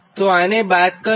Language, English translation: Gujarati, so we have taken that